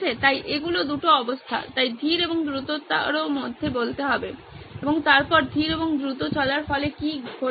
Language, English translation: Bengali, So these are the two states so to speak between slow and fast and then what happens as a result of going slow and fast